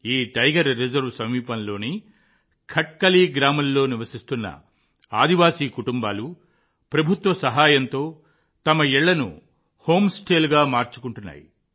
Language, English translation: Telugu, Tribal families living in Khatkali village near this Tiger Reserve have converted their houses into home stays with the help of the government